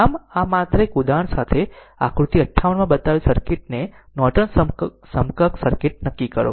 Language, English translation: Gujarati, So, with this just one example, determine Norton equivalent circuit of the circuit shown in figure 58